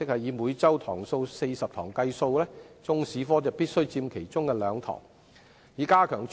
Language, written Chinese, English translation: Cantonese, 以每周40堂來計算，中史科必須佔其中兩節課堂。, In the case of a 40 - lesson week Chinese History must take up two periods